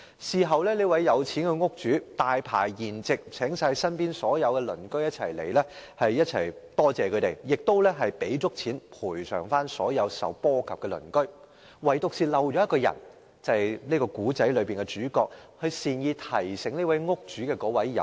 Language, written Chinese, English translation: Cantonese, 事後，這名有錢的屋主大排筵席，邀請所有鄰居到來感謝他們，亦賠償足夠金錢給所有受波及的鄰居，唯獨一人，便是故事中的主角，即善意提醒屋主的有心人。, Afterwards this wealthy house owner invited all his neighbours to a lavish banquet as a show of thanks for their help and offered adequate monetary compensation to those neighbours who were affected . But one person was not invited the main character in this story the good guest who offered a kind reminder to the house owner